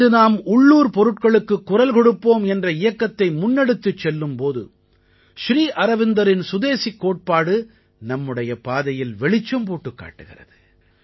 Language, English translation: Tamil, Just as at present when we are moving forward with the campaign 'Vocal for Local', Sri Aurobindo's philosophy of Swadeshi shows us the path